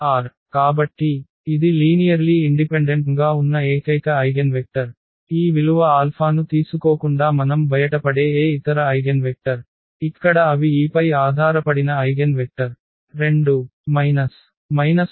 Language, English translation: Telugu, So, that is the only one eigenvector which is linearly independent, any other eigenvector which we get out of taking this value alpha where they are the dependent eigenvectors on this 2 minus 1 1